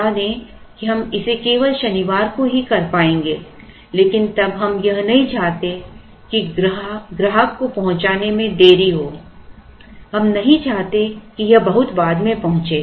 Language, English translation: Hindi, Let us say we are able to do it only on Saturday, but then we do not want that delay to be carried to the customer we do not want it to go much later